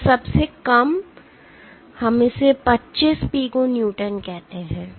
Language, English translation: Hindi, This absolute lowest is let us say 25 Pico Newtons